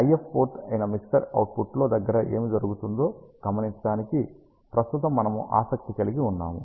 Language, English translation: Telugu, And right now we are interested in observing what happens directly at the mixer output which is the IF port